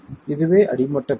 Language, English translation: Tamil, So, that's the bottom line